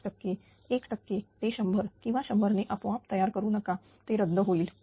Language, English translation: Marathi, 5 percent 1 percent do not making it by 100 or 100 automatically it will be cancel